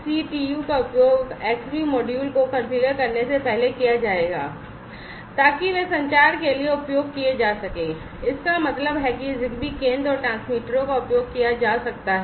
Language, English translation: Hindi, So, XCTU will be used to configure the Xbee modules before they can be used for communication; that means, the ZigBee center and the transmitters could be used